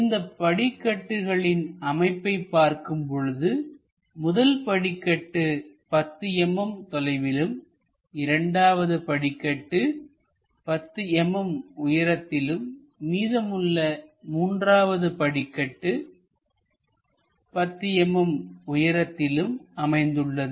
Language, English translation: Tamil, When we are looking at this staircase connection, the first stair is at 10 mm distance, the second stair also at 10 mm and the rest is also at 10 mm